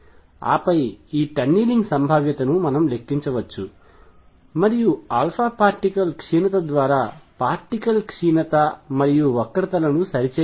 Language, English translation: Telugu, And then one can calculate this tunneling probability and relate that to the decay of nuclear through alpha particle decay and that fitted the curves